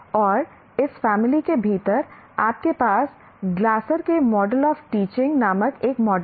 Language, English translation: Hindi, And within this family, you have a model called Glasser's model of teaching